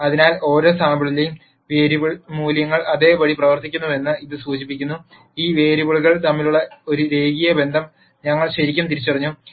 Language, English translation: Malayalam, So, this implies that the variable values in each sample behave the same so, we have truly identified a linear relationship between these variables